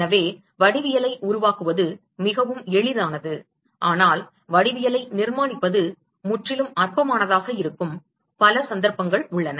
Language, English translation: Tamil, So, this is a very simple example where constructing the geometry is very easy, but there are many many cases, where constructing the geometry can be completely non trivial